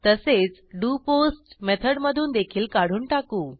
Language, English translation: Marathi, Also remove it from the doPost method